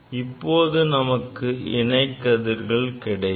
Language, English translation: Tamil, Then will get the parallel rays